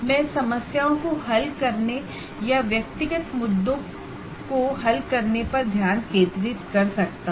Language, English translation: Hindi, I can start discussions, I can focus on solving the problems or address individual issues